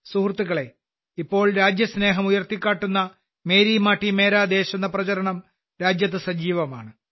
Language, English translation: Malayalam, Friends, At present, the campaign to evoke the spirit of patriotism 'Meri Mati, Mera Desh' is in full swing in the country